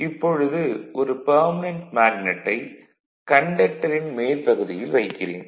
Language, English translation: Tamil, Now the suppose a permanent magnet is placed on the top of this conductor